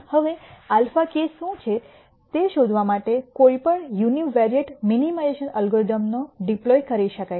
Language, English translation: Gujarati, Now, any univariate minimization algorithm can be deployed to find out what alpha k is